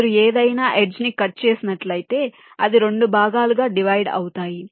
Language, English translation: Telugu, if you cut any edge, it will divide that it up into two parts